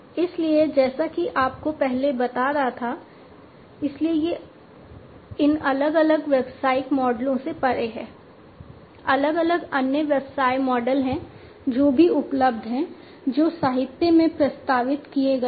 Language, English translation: Hindi, So, as I was telling you earlier; so there are beyond these different business models, there are different other business models, that are also available, that have been proposed in the literature